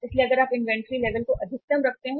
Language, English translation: Hindi, So if you keep the inventory level high right